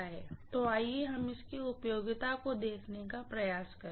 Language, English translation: Hindi, So let us try to look at the utility of it, okay